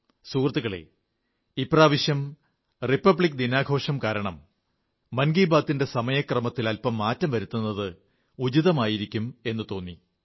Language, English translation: Malayalam, Friends, this time, it came across as appropriate to change the broadcast time of Mann Ki Baat, on account of the Republic Day Celebrations